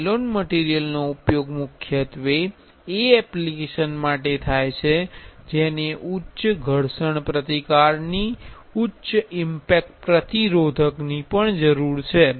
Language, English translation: Gujarati, Nylon material is mainly used for the application which need high abrasion resistance, high impact resistant also